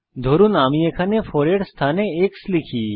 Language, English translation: Bengali, Suppose here, we type x in place of 4